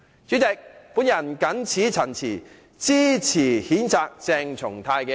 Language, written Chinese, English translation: Cantonese, 主席，我謹此陳辭，支持譴責鄭松泰的議案。, President I so submit . I support the motion to censure CHENG Chung - tai